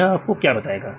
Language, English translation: Hindi, What it will do